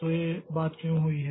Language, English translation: Hindi, So, why this thing has happened